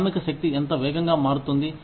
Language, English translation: Telugu, How fast, the workforce turns over